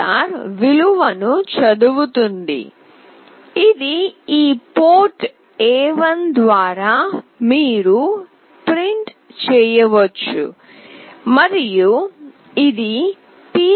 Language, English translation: Telugu, read will read the value, which is through this port A1 and you can print it using pc